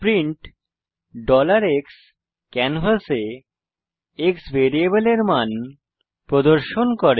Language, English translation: Bengali, print $x displays the value of variable x on the canvas